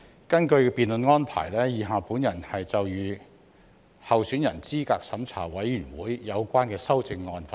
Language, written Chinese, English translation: Cantonese, 根據辯論安排，以下我就有關候選人資格審查委員會的修正案發言。, In accordance with the debate arrangements I will now speak on the amendments relating to the Candidate Eligibility Review Committee CERC